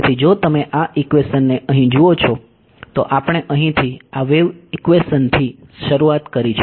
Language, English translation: Gujarati, So, if you look at this equation over here we started with this wave equation over here